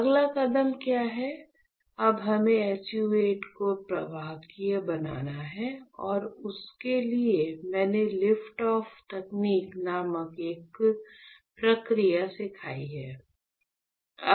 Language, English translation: Hindi, Now we have to make SU 8 conductive and for that, if you remember I have taught you a process called lift off technique right